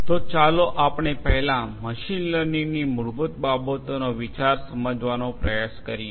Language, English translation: Gujarati, So, let us first try to gets the ideas of the basics of machine learning